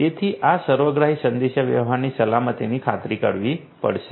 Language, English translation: Gujarati, So, using all of these holistically communication security will have to be ensured